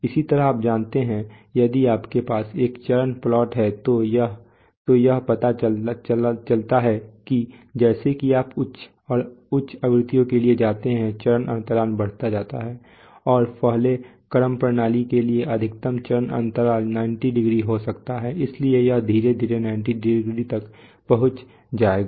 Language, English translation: Hindi, Similarly you know, if you have a, if you have a phase plot then it turns out that, as you go for higher and higher frequencies the phase lag increases and the maximum phase lag possible for a first order system can be 90 degrees, so it will gradually approach 90 degree